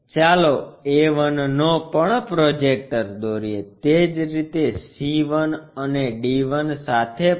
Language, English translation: Gujarati, Let us draw projectors to a 1, similarly, to c 1 and to d 1